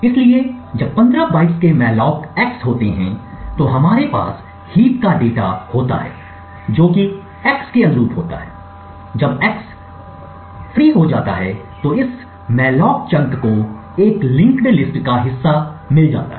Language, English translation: Hindi, So therefore, when we malloc x of 15 bytes we have a chunk of data in the heap corresponding to x, when x gets freed this malloc chunk gets a part of a linked list